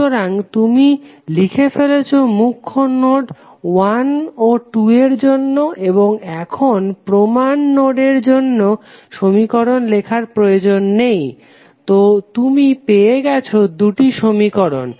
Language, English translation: Bengali, So, you have written for principal node 1 and 2 and you need not to write any equation for reference node, so you got two equations